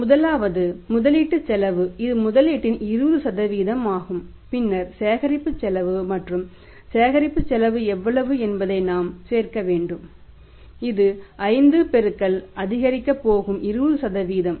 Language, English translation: Tamil, First is investment cost it is 20% of the investment and then we will have to add the the cost that is the collection cost and collection cost is how much 5 into how much is going to increase by 20% that is multiply 1